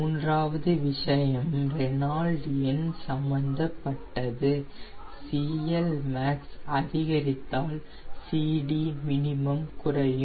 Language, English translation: Tamil, third point: with reynold number, cl max increases and cd min decreases